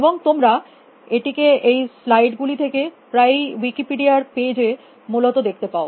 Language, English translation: Bengali, And so you can them from the slides often the Wikipedia page essentially